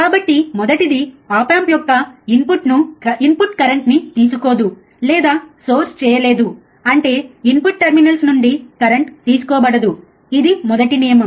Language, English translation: Telugu, So, first is the input to the op amp draw or source no current; that means, that the input terminals will draw or source, no current there will be no current drawn from the input terminals, that is first rule